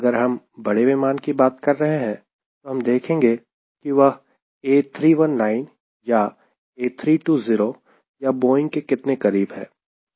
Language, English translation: Hindi, if we are talking about bigger aircraft, you have to see whether it is close to eight, three, one, nine, three, twenty or boeing